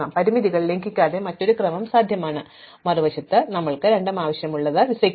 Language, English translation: Malayalam, So, there is a different ordering possible which does not violate the constraints, on the other hand for a visa we need both